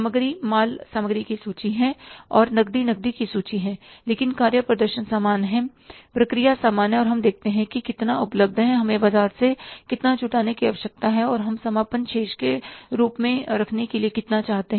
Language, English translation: Hindi, Inventory is the inventory of material and cash is an inventory of cash but the performance is same or the process is same that there we see how much is available, how much we need to arrange from the market and how much we want to keep as the closing balance